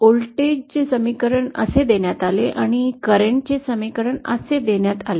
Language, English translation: Marathi, The voltage equation was given like this and the current equation was given like this